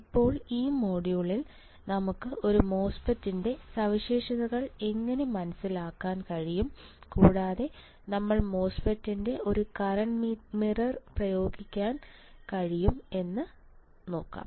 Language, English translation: Malayalam, Now, in this module let us see further how we can understand the characteristics of a MOSFET, and how can one apply the MOSFET as a current mirror that we will be looking at